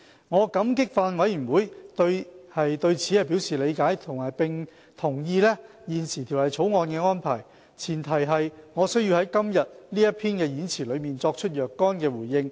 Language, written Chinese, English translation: Cantonese, 我感激法案委員會對此表示理解，並同意現時《條例草案》的安排，唯前提是我需要在今天這篇演辭中作出若干回應。, I appreciate the Bills Committees understanding of this point and its consent to the present arrangement on the premise that I have to respond to their concerns in my speech